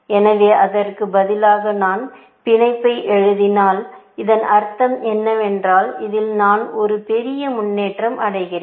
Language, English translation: Tamil, So, instead of this, if I write bound, it means that I am making a bigger jump in this, essentially